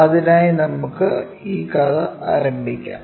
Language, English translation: Malayalam, For that let us begin this story